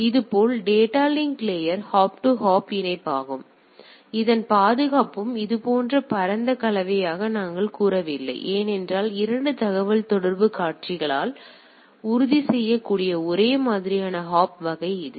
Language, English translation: Tamil, Similarly data link layer is also hop to hop connectivity; so, as such the security of this is also not what we say a wide concerned as such because it is a only hop to hop things type of things it can be ensured by the 2 communicating party right